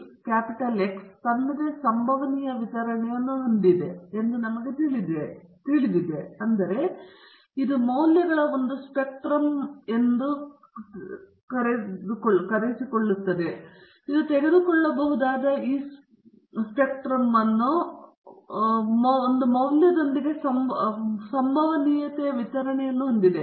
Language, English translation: Kannada, Now, we know that the random variable x is having its own probability distribution; that means, it can take a spectrum of values and there is a probability distribution associated with this spectrum of values it can take